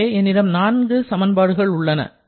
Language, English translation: Tamil, So, these are the 4 equations that we have now